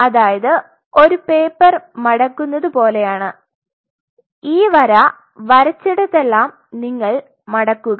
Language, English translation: Malayalam, Just like you have done paper folding you fold this wherever I drew the line you fold it